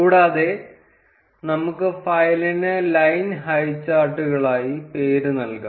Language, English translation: Malayalam, And we can name the file as line highcharts